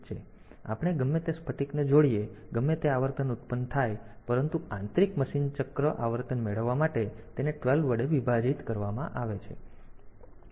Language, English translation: Gujarati, So, whatever crystal we connect, whatever frequency it is generated; it is divided by 12 to get the internal machine cycle frequency